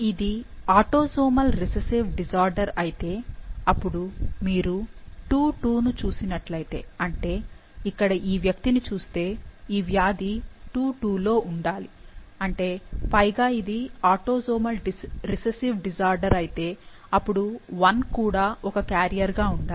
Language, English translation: Telugu, So, if it is a autosomal recessive disorder, then if you see II 2, that is this one, this person, so to have a disease in second 2 and if it is autosomal recessive disorder, then 1 should also be a carrier and similarly if III 2 has the disease, then 1, II 1, should also be the carrier for the disease